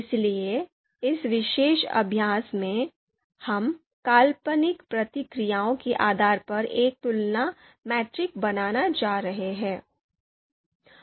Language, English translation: Hindi, So in this particular exercise, we are going to create a comparison matrix based on hypothetical you know responses